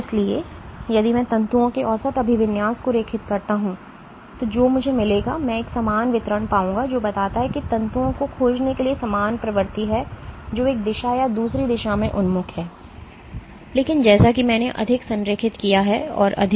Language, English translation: Hindi, So, if I draw the average orientation as a function every orientation of fibers what I will find is, I will find a uniform distribution a normal distribution, which suggests that there is equal propensity to find fibers which are oriented in one direction or the other direction, but as I align more and more